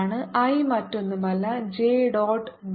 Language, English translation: Malayalam, i is nothing but j dot d a